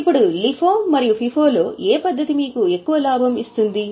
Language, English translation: Telugu, Now, between LIFO and FIPO, which method will give you more profit